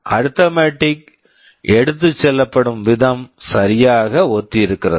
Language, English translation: Tamil, The way the arithmetic is carried out is exactly identical